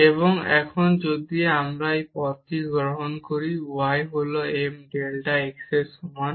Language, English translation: Bengali, And now if we take this path delta y is equal to m delta x